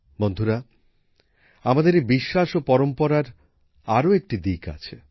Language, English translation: Bengali, Friends, there is yet another facet to this faith and these traditions of ours